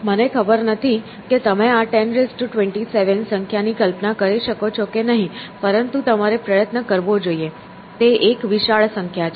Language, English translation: Gujarati, I do not know whether you can visualize the number 10 raise to 27, but you should try; it is a huge number